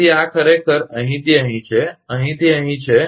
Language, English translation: Gujarati, So, this is actually from this, from here to here